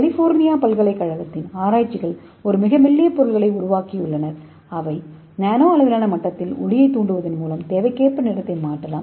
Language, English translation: Tamil, so researches from University of California so they develop a ultra thin material so that can change color on demand by bouncing back light on the nano scale level